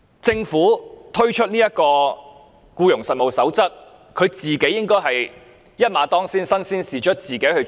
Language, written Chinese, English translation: Cantonese, "政府推出《守則》，便應該一馬當先，身先士卒，自己落實執行。, Following the release of the Code the Government should bravely take the lead to put it into practice by itself